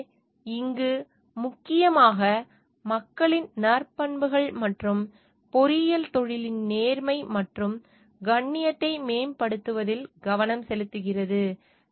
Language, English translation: Tamil, So, here it focuses mainly on the virtuous nature of the people, and to advance the integrity honour and dignity of the engineering profession